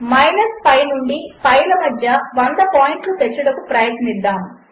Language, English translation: Telugu, Lets try and get 100 points between minus pi to pi